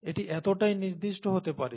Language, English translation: Bengali, It can be that specific